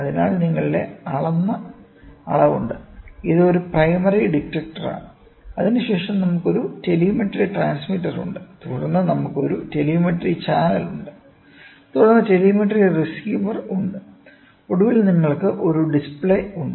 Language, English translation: Malayalam, So, your measured quantity is there and this is a primary detector, then we have a telemetry transmitter and then we have a telemetry channel, then telemetry receiver and finally, you get a display